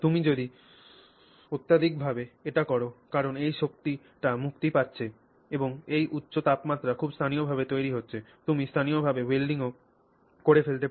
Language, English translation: Bengali, If you do it excessively because this energy is getting released and you have this high temperature very locally formed, you may even actually end up doing welding